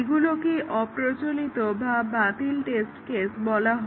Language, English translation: Bengali, These are called as the obsolete or invalid test cases